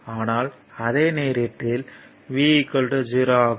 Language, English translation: Tamil, And in that case v is equal to 0